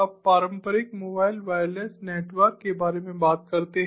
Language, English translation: Hindi, now we let us talk about the traditional mobile wireless networks